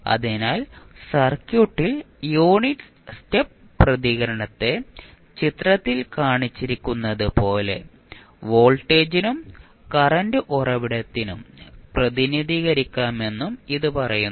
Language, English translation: Malayalam, So, that also says that in the circuit the unit stop response can be represented for voltage as well as current source as shown in the figure